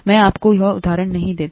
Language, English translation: Hindi, Let me not give you that example